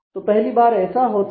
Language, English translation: Hindi, So, this happens the first time